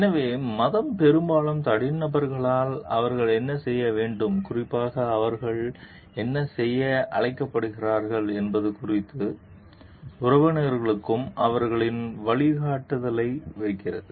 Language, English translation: Tamil, So, religion often puts their guidance to members about what they are supposed to do as individuals and particularly what they are called to do